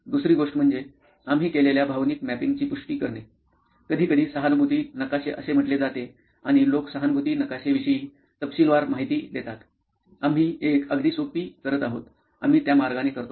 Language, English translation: Marathi, The second thing to do is to confirm whether the emotional mapping that you did, sometimes called the empathy map and people do detail the empathy map, we are going to do a very simple one, this is how we do it